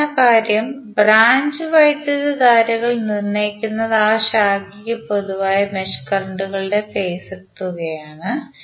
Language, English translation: Malayalam, And the important thing is that branch currents are determined by taking the phasor sum of mesh currents common to that branch